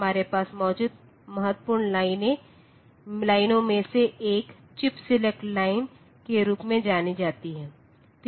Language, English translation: Hindi, One of the important lines that we have is known as the chip select line